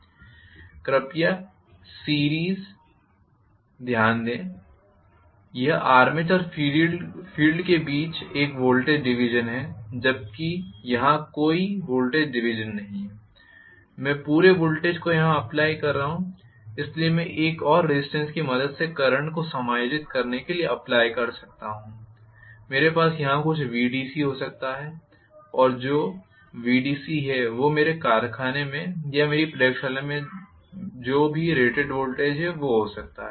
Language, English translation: Hindi, Whereas series please note it is having a voltage division between armature and field whereas here there is no voltage division I am having the entire voltage applied here, so I may apply may be with the help of another resistance to adjust the current I may have some Vdc applied here and that Vdc may be whatever is the rated voltage in my factory or in my laboratory or whatever